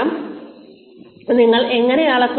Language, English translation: Malayalam, How will you measure this better performance